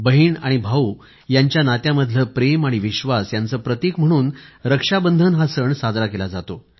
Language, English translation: Marathi, The festival of Rakshabandhan symbolizes the bond of love & trust between a brother & a sister